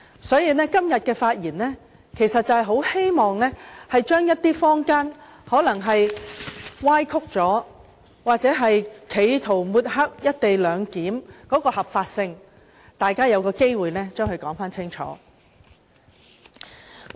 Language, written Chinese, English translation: Cantonese, 所以，我今天發言是希望指出一些被坊間歪曲或企圖抹黑"一地兩檢"的合法性的說法，讓大家有機會說個清楚。, So today I wish to point out the legitimacy of the co - location arrangement which have been distorted or discredited by the public so that Members can have a thorough discussion . Many remarks have been made concerning the proposed co - location arrangement